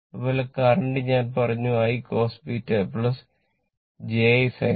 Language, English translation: Malayalam, Similarly, current I told you it is I cos beta plus j I sin beta